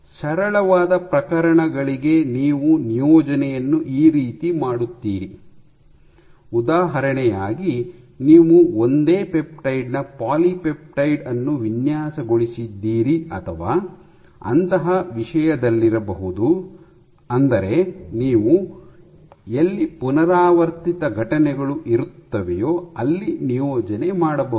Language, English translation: Kannada, So, this is how you do the assignment for the simplest cases in let us say you have engineered polypeptide of the same peptide or things like that, where you have the same repeating unit